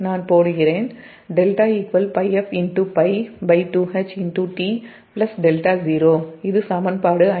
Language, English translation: Tamil, this is equation fifty one